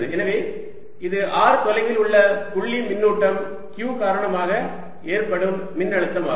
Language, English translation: Tamil, so this is the potential due to a point charge q at a distance r from it